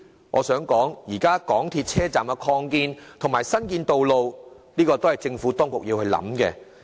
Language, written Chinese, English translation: Cantonese, 我想指出，港鐵車站擴建和新建道路的事宜，是政府當局需要好好思考的。, I have to point out that the Administration should give due consideration to matters regarding the expansion of MTR stations as well as construction of new roads